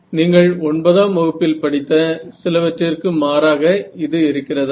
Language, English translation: Tamil, So, does that contrast with something that you have learnt from like class 9